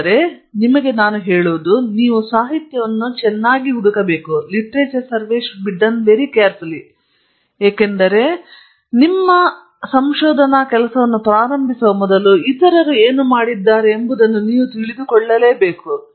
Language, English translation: Kannada, What this tells you is please do your literature search very well, because you should know what others have done before you are start doing your work